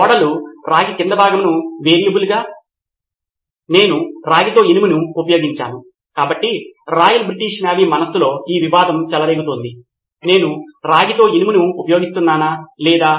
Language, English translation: Telugu, The ships copper hull as the variable, do I use iron with copper, so this is the conflict is going on in the Royal British Navy’s mind,